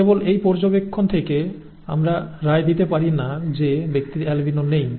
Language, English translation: Bengali, We cannot rule that out from just this observation that the person is not an albino